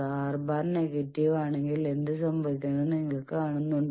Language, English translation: Malayalam, And you see that what happens if R is negative